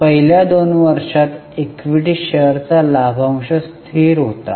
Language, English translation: Marathi, Equity share dividend for first two years was constant